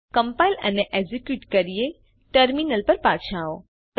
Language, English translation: Gujarati, Let us compile and execute come back to our terminal